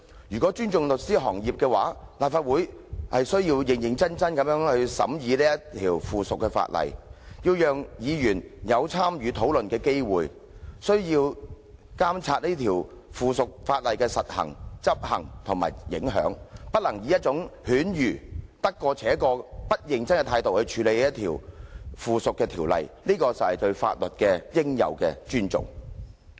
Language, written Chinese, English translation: Cantonese, 如果尊重律師行業，立法會便須認真審議有關附屬法例，讓議員有參與討論的機會，並須監察該附屬法例的實施和影響，而不能以犬儒、得過且過、不認真的態度來處理該附屬法例，這才是對法律的應有尊重。, If the Legislative Council respects the legal profession it should seriously scrutinize the subsidiary legislation so that Members will have the opportunity to participate in discussions as well as monitor the implementation and impacts of the subsidiary legislation . This Council should not practise cynicism it should not muddle along or perfunctorily deal with the subsidiary legislation as we should have due respect for the law